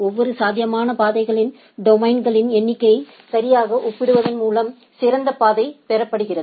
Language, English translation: Tamil, The best path is obtained by comparing the number of domains of each feasible routes right